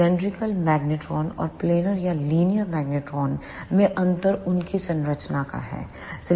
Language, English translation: Hindi, The difference in the cylindrical magnetron and planar or linear magnetron is of their structure